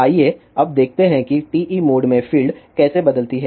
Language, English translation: Hindi, Now, let us see how fields vary in TE mode